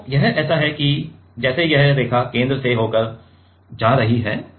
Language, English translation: Hindi, So, this is like this line is going through the center